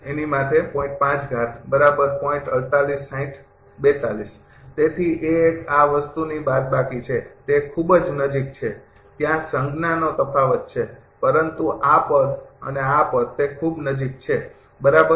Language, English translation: Gujarati, So, A 1 is minus of this thing, very close only there sign difference is there, but this term and this term they are very close, right